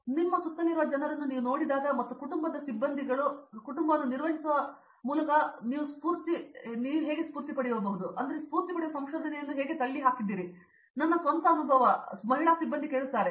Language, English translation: Kannada, But here, when you see people all around you and when you hear a women faculties share her own experiences of how she pushed through managing both family and a research you get inspired